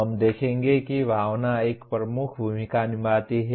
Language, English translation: Hindi, We will see that emotion plays a dominant role